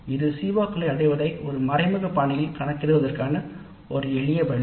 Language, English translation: Tamil, But this is one simple way of computing the attainment of COs in an indirect fashion